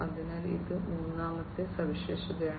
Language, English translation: Malayalam, So, this is the third feature